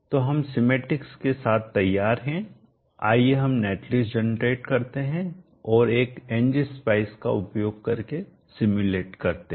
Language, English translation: Hindi, So we are redub the schematic let us generate the net list and simulate using a NG specie